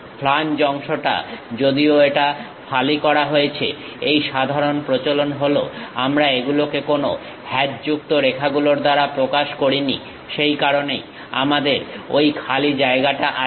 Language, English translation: Bengali, The flange portion, though it is slicing, but this standard convention is we do not represent it by any hatched lines; that is the reason we have that free space